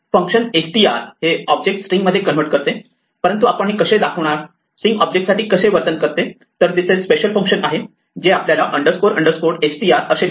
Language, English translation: Marathi, The function str normally converts an object to a string, but how do we describe how str should behave for an object, well there is special function that we can write called underscore underscore str